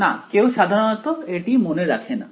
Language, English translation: Bengali, No yeah, no one usually remember it